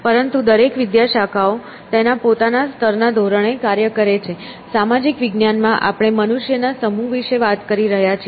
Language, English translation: Gujarati, But each discipline operates in its own level of scale; social science is operated some level where we are talking about collections of human beings